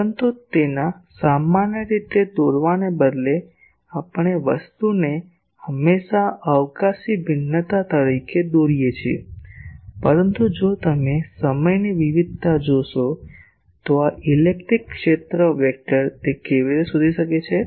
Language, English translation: Gujarati, But instead of drawing its generally we always draw the thing as a spatial variation, but if you see time variation this electric field vector its int how it traces